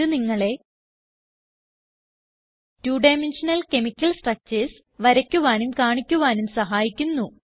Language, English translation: Malayalam, GChemPaint allows you to, Draw and display two dimensional chemical structures